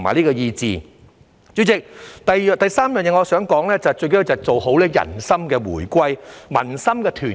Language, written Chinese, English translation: Cantonese, 代理主席，我想說的第三個融合就是做好人心回歸、民心團結。, Deputy President the third integration I would like to talk about is the reunification and cohesion of peoples hearts